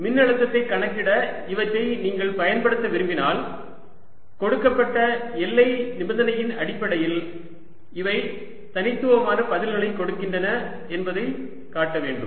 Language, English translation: Tamil, if you want to use these to calculate potential, we should be able to show that these gives unique answers given a boundary condition